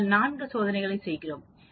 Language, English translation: Tamil, We are doing 4 trials